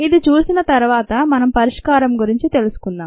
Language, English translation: Telugu, ok, having seen this, let us go about the solution